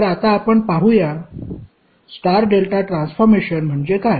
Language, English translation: Marathi, So now let us see, what do you mean by star delta transformer, transformation